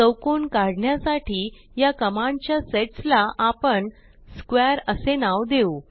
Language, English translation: Marathi, We will name of this set of commands to draw a square as square